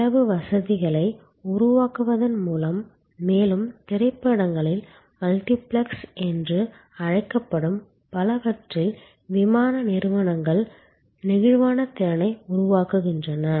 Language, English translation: Tamil, So, by creating split facilities, airlines create the flexible capacity in many of the so called multiplexes in further movies